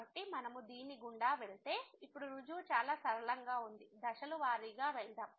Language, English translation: Telugu, So, if we go through; now the proof which is pretty simple so, let us go step by step